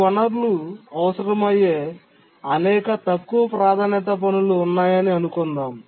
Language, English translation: Telugu, Now let's assume that there are several lower priority tasks which need these resources